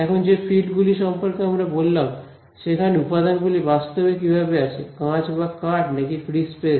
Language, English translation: Bengali, Now fields we have spoken about where does the material actually come into picture, whether its glass or wood or free space